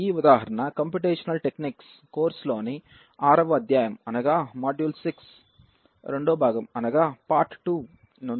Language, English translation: Telugu, This example was taken from the computational techniques course module 6 part 2